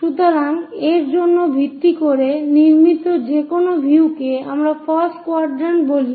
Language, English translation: Bengali, So, any views constructed based on that we call first quadrant